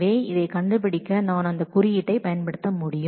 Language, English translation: Tamil, So, I will be able to use that index to find this